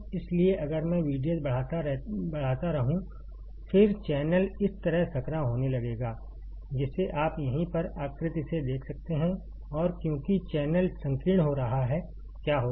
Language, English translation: Hindi, So, if I keep on increasing V D S; then, channel will start getting narrowed like this which you can see from the figure, right over here and because the channel is getting narrow, what will happen